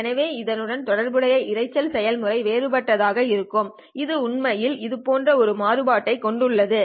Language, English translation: Tamil, Therefore, the noise process corresponding to this one will be different and it actually has a variance that goes something like this